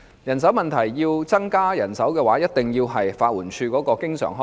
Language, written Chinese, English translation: Cantonese, 如果要增加法援署人手，便一定要增加其經常開支。, To increase the manpower of LAD its recurrent expenditure must be increased